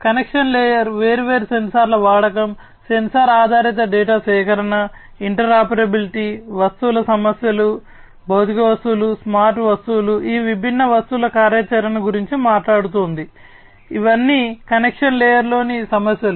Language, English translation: Telugu, Connection layer is talking about the use of different sensors, the sensor based data collection, interoperability, issues of objects, physical objects, smart objects, functionality of these different objects, all these are issues at the connection layer